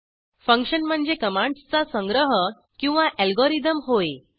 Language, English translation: Marathi, * A function is a collection of commands or an algorithm